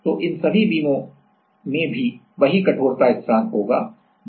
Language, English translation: Hindi, So, if E F G H all these beams will also have the same stiffness constant that is K